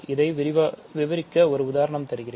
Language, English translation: Tamil, So, let me just do an example